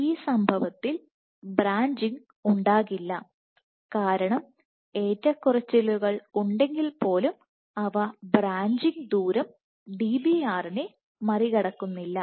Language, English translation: Malayalam, So, in this event there will be no branching, because even with fluctuation you do not surpass the branching distance Dbr